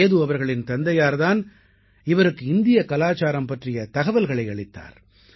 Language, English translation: Tamil, Seduji's father had introduced him to Indian culture